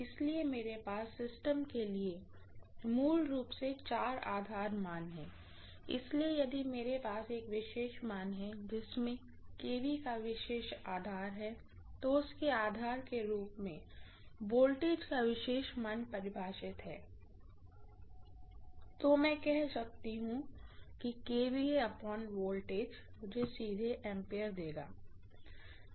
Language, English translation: Hindi, So I have basically four base values for the system, so if I have a system with a particular value of kVA defined as its base and particular value of voltage define as its base, I can say kVA divided by whatever is the voltage in kilovolts will give me ampere directly